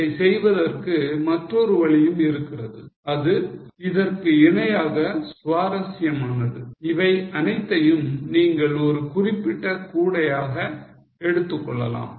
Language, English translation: Tamil, There is also another way of doing it which is also equally interesting, you can treat all these as a particular basket